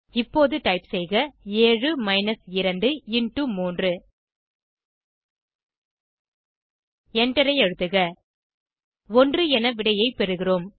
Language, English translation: Tamil, Now type 7 minus 2 multiply by 3 and press Enter We get the answer as 1